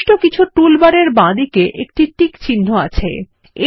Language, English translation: Bengali, There is a check mark to the left of certain toolbars